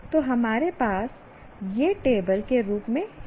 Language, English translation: Hindi, So we have it in the form of a table